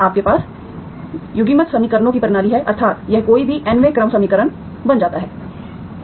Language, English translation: Hindi, You have system of coupled equations, that is, that is what it becomes any nth order equation